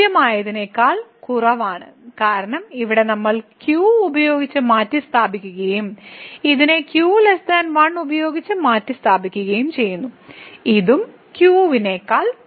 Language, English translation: Malayalam, So, less than equal to because here we have replace by and this one is also replace by though it is a less than 1 this is also less than all these terms are less than